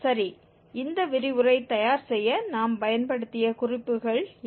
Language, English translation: Tamil, Well, these are the references we have used for preparing this lecture